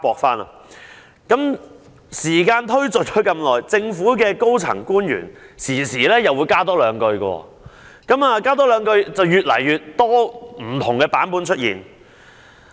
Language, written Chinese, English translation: Cantonese, 隨着時間的過去，政府高層官員不時會在回應時多說一兩句，以至出現越來越多不同的版本。, With the passage of time senior government officials have from time to time added one to two lines in their responses resulting in the emergence of an increasing number of different versions